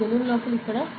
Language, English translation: Telugu, Inside this balloon over here ok